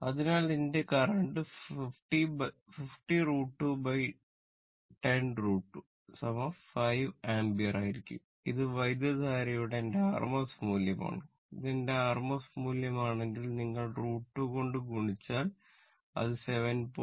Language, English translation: Malayalam, Therefore, my current will be your what you call 50 root 2 by 10 root 2 is equal to 5 ampere this is my rms value of the current right if if this is my rms value if you multiply by root 2 it will be 7